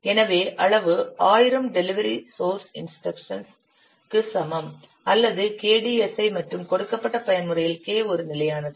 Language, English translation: Tamil, So the size is equal to what 1,000 delivered source instructions or KDSI and K is a constant for the given mode